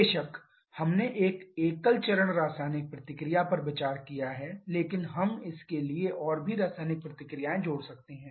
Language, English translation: Hindi, Of course we have considered a single step chemical reaction but we could have added more chemical reactions also for this